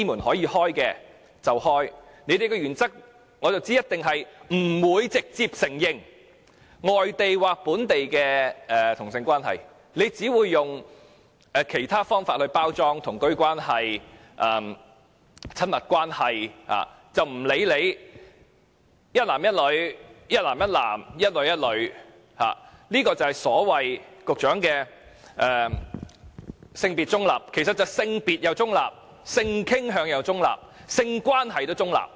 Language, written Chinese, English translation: Cantonese, 我知道你們的原則是一定不直接承認外地或本地的同性伴侶關係，只會用其他稱呼來包裝，如"同居關係"、"親密關係"，不理會當中是一男一女、一男一男、一女一女，這就是局長所謂的性別中立，而性傾向及性關係也是中立。, I understand that the Government insists on not directly recognizing local or overseas same - sex relationships and that it will only package these relationships with other names such as cohabitation relationship or intimate relationship whether it involves one man and one woman two men or two women . This is what the Secretary considers gender - neutral both in respect of sexual orientation and sexual relation